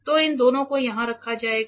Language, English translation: Hindi, So, that will be stored here